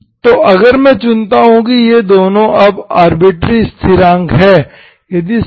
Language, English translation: Hindi, So if I choose, these 2 are arbitrary constant now